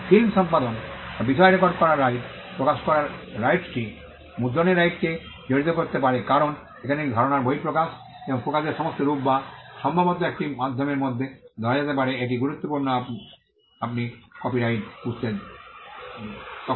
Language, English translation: Bengali, The right may involve the right to print the right to publish the right to perform film or record the subject matter because, here is an expression of an idea and the all the forms of expression most likely which can be captured in a medium this is critical when you understand copyright